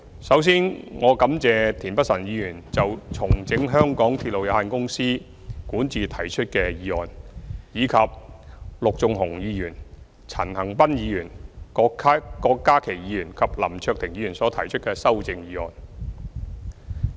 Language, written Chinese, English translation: Cantonese, 首先，我感謝田北辰議員就"重整港鐵公司管治"提出的議案，以及陸頌雄議員、陳恒鑌議員、郭家麒議員及林卓廷議員所提出的修正議案。, First of all I would like to thank Mr Michael TIEN for his motion on Restructuring the governance of MTR Corporation Limited and the amendments proposed by Mr LUK Chung - hung Mr CHAN Han - pan Dr KWOK Ka - ki and Mr LAM Cheuk - ting